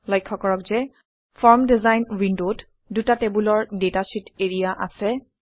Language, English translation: Assamese, In the form design window, notice that there are two tabular data sheet areas